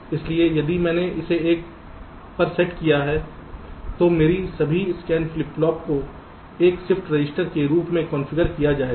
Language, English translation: Hindi, so if i set it to one, then all my scan flip flops will be configured as a shift register